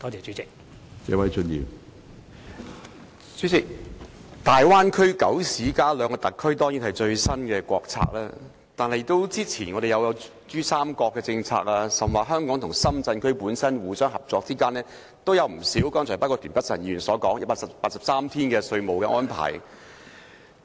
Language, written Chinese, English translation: Cantonese, 主席，大灣區九市加兩個特區的政策，當然是最新國策，但之前我們亦有珠江三角洲的政策，而香港與深圳互相之間已有不少合作，包括田北辰議員所說的183天稅務安排。, President the policy for the Bay Area consisting of nine municipalities and two SARs is certainly the latest national strategy . Before that however we had also got the policy for PRD and there has already been a lot of cooperation between Hong Kong and Shenzhen including the 183 - day taxation arrangement mentioned by Mr Michael TIEN